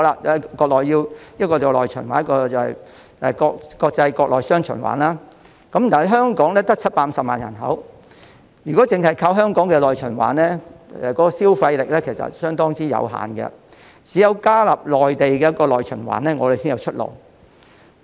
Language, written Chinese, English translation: Cantonese, 國家需要內循環和國內國際雙循環，但香港只有750萬人口，如果只靠香港的內循環，消費力其實相當有限，只有加入內地的內循環，我們才有出路。, Our country needs both internal circulation and dual circulation of domestic and international market . However with a population of only 7.5 million the spending power is very limited if Hong Kong relies on its internal circulation . Joining the internal circulation of the Mainland will be our only prospect